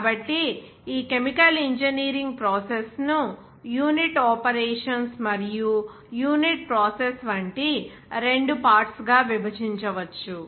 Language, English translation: Telugu, So, this is the division of this chemical engineering process into two parts like unit operations and unit process